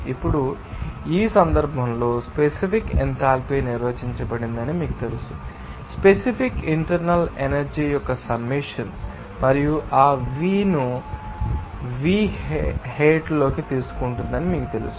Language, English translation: Telugu, Now, in this case we know that the specific enthalpy is defined as you know that the summation of specific internal energy plus that P into V hat